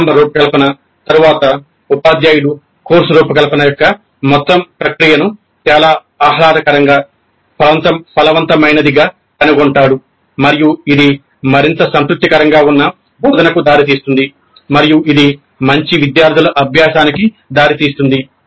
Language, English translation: Telugu, But after the initial design, the teacher would even find the entire process of course is very pleasant, fruitful and it would lead to an instruction which is more satisfactory and it would lead to better student learning